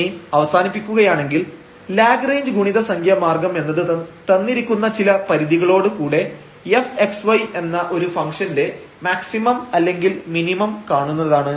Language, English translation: Malayalam, Conclusion now: so, the method of Lagrange multiplier is that we want to find the maximum or minimum of a function here f x y with the sum given constraint